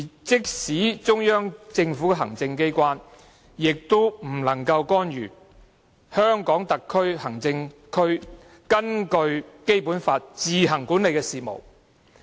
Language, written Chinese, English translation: Cantonese, 即使是中央政府的行政機關，也不能干預香港特別行政區根據《基本法》自行管理的事務。, No administrative organ of the Central Government may interfere in the affairs which HKSAR administers on its own in accordance with the Basic Law